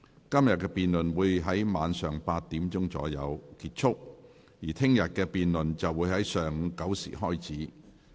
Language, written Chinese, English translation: Cantonese, 今天的辯論會在晚上8時左右結束，而明天的辯論會在上午9時開始。, Todays debate will end at about 8col00 pm and tomorrows debate will start at 9col00 am